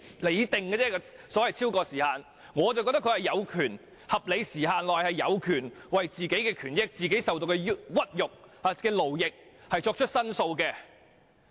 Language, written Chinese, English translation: Cantonese, 我認為受害人有權在合理時限內為自己的權益、所受的屈辱和勞役作出申訴。, I hold that victims have the right to make a complaint about their grievances and forced labour for the sake of their own rights and interests